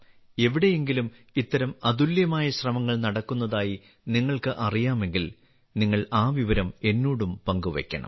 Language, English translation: Malayalam, If you are aware of any such unique effort being made somewhere, then you must share that information with me as well